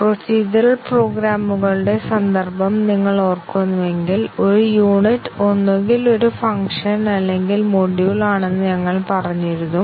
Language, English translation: Malayalam, If you remember the context of procedural programs, we had said that a unit is either a function or a module